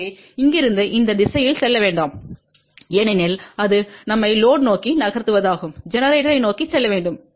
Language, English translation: Tamil, So, from here do not move in this direction ok because this is a movement towards load we have to move towards generator